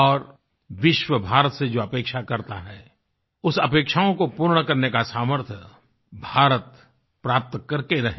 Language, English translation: Hindi, And may India surely achieve the capabilities to fulfil the expectations that the world has from India